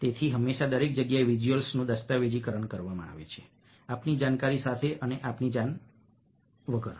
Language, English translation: Gujarati, so, perpetually, everywhere, visuals are being documented, with our knowledge and without our knowledge